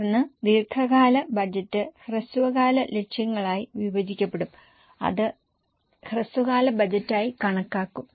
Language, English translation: Malayalam, Then the long term budget will be divided into short term targets that will be considered as a short term budget